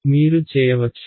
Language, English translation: Telugu, You can right